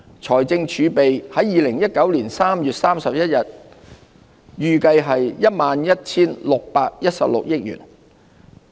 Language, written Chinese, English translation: Cantonese, 財政儲備在2019年3月31日預計為 11,616 億元。, Fiscal reserves are expected to reach 1,161.6 billion by 31 March 2019